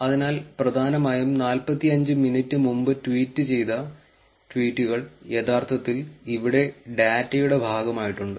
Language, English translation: Malayalam, So, the essentially the tweets that were tweeted even before 45 minutes is actually part of the data also here